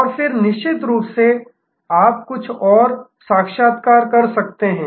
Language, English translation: Hindi, And then of course, you can do some further interviews